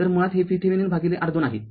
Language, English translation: Marathi, So, basically it is a V Thevenin by R thevenin